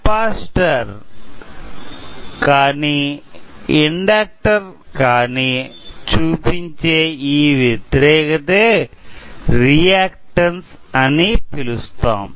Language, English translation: Telugu, So, this resistance that is put forward by the capacitor or inductor is called as reactance